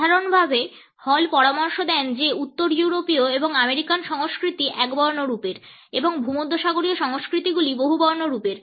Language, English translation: Bengali, In general Hall suggest that northern European and American cultures are monochronic and mediterranean cultures are polychronic